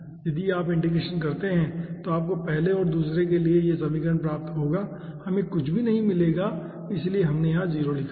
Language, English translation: Hindi, if you integrate, then you will be getting this equation for the first and second, we will not be getting anything